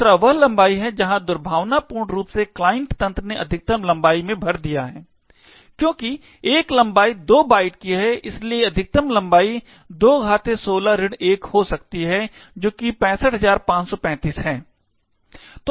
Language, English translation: Hindi, The second one is the length where maliciously the client system has filled in the maximum length that is, since a length is of 2 bytes, so the maximum length could be 2 power 16 minus 1 which is 65535